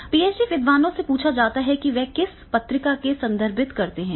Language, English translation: Hindi, Now the PhD scholars they have been asked that is the what journals they are supposed to refer